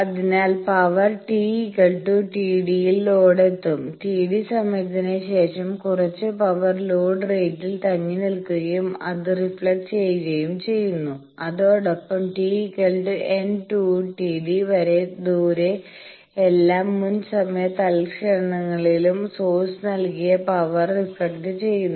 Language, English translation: Malayalam, So, power will reach the load at t is equal to t d, after T d time some power stays at load rates gets reflected also the power delivered by source at all previous time instants given by t is equal to minus n 2 T d away